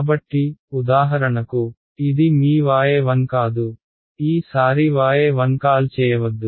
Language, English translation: Telugu, So, for example, this is your y 1 no let us not call it y 1 this time